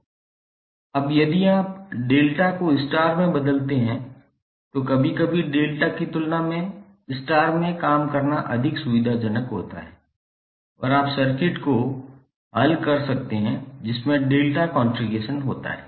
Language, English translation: Hindi, Now if you convert delta to star then sometimes it is more convenient to work in star than in delta and you can solve the circuit which contain delta configuration